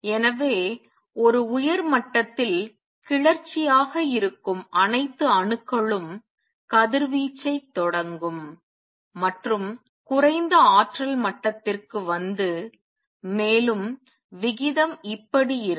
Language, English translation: Tamil, So, all the atoms that have been excited to an upper level would radiate and come down to lower energy level and the rate would be like this